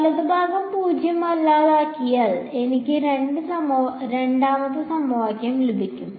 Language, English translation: Malayalam, If I make the right hand side non zero, I get the second equation